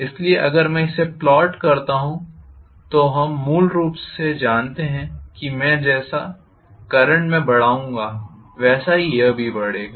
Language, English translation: Hindi, So if I plot this, we know basically that I am going to have as I increase the current it will increase and it will reach some saturation